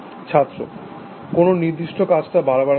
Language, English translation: Bengali, A device which does the particular task repeatedly